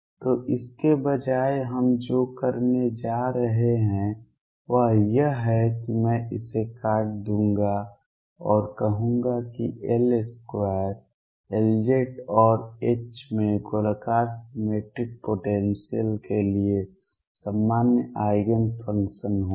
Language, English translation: Hindi, So, what we are going to have instead is I will just cut this and say that L square L z and H will have common eigen functions for spherically symmetric potentials